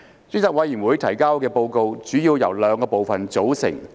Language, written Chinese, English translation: Cantonese, 專責委員會提交的報告主要由兩個部分組成。, The Report submitted by the Select Committee comprises two main parts